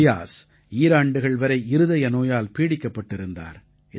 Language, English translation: Tamil, Fiaz, battled a heart disease for two years